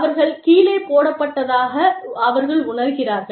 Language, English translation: Tamil, They feel, that they have been put down